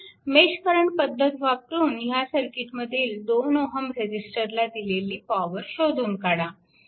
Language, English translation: Marathi, So, using mesh current method determine power delivered to the 2, 2 ohm register in the circuit